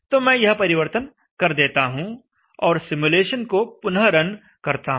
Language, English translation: Hindi, So let me change that, and let me now run the simulation again